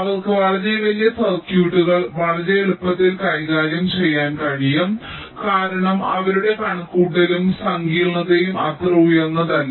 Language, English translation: Malayalam, they can handle very large circuits quite easily because their computation and complexity is not so high